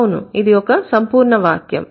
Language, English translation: Telugu, It is a complete sentence